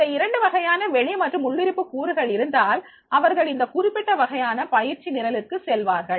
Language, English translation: Tamil, If the both the type of the extrinsic factors and intrinsic factors are there, then they will be going for this particular type of the training programs